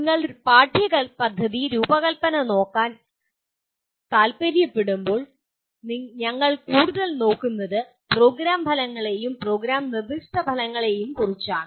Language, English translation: Malayalam, When you want to look at the curriculum design then we are looking at more at the program outcomes and program specific outcomes and so on